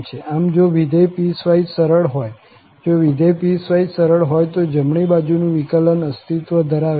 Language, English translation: Gujarati, So, if the function is piecewise smooth, if the function is piecewise smooth then the right derivative exists